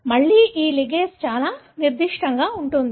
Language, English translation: Telugu, Again, this ligase is very, very specific